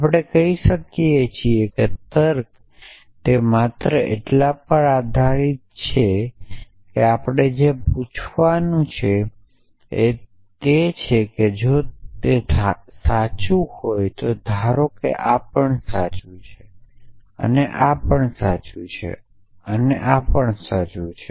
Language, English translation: Gujarati, We say logic is it only depends upon the from so essentially what we have going to ask is a if a assume this is true; this is true; this is true; this is true